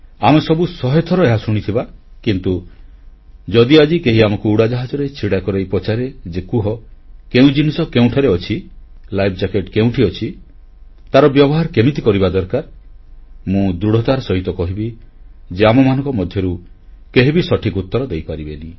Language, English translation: Odia, But today if one of us is taken inside an aircraft and asked about the location of equipments, say life jackets, and how to use them, I can say for sure that none of us will be able to give the right answer